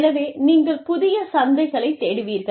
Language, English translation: Tamil, So, you will search for new markets